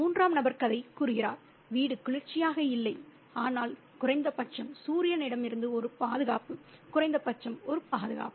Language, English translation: Tamil, The writer says, the third person narrator says, the house was not cool, but at least a protection from the sun, at least the protection